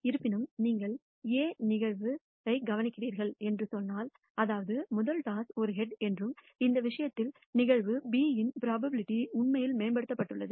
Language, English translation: Tamil, However, if you tell me that you are observed event A; that means, that the first toss is a head, in this case then the probability of event B is actually im proved